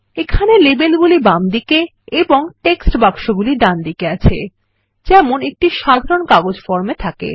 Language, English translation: Bengali, Here the labels are to the left and the text boxes on the right, just like a typical paper form